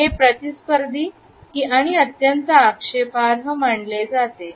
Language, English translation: Marathi, It is considered to be confrontational and highly offensive